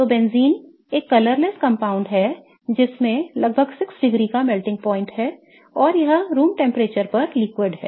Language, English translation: Hindi, It has a melting point of about 6 degrees and it is liquid at room temperature